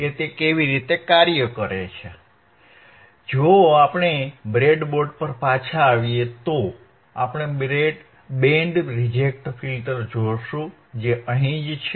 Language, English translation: Gujarati, So, if we come back to the breadboard, if we come back to the breadboard , we will see the function first the band reject filter, which is right over here is right over here